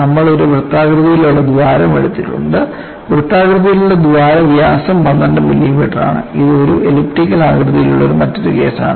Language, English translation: Malayalam, You have taken a circular hole, and the circular hole diameter is 12 millimeter, and this is another case where it is an elliptical hole